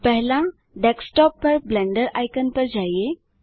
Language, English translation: Hindi, Right Click the Blender icon